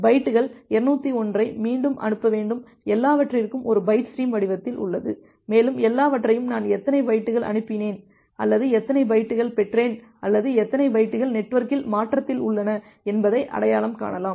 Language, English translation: Tamil, So, this segments may not preserve, because in TCP everything is in the form of a byte stream, and everything is identified by how many bytes I have sent or how many bytes I have received or how many bytes are in transition in the network